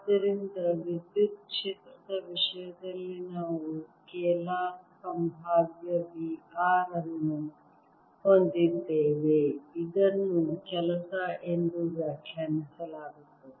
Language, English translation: Kannada, so in the case of electric field we had a scalar potential, v r, which is also interpreter as the work done in the case of magnetic field